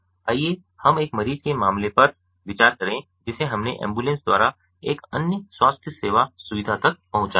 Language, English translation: Hindi, let us consider the case of a patient we transported by an ambulance to another far away healthcare facility